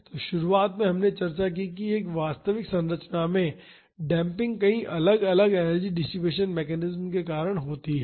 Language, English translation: Hindi, So, in the beginning we discussed that the damping in an actual structure is due to many different energy dissipation mechanisms